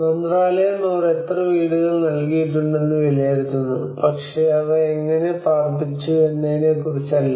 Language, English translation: Malayalam, The Ministry is only evaluate how many houses they have provided but not on how they have been accommodated